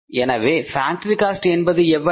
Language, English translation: Tamil, So factory cost is how much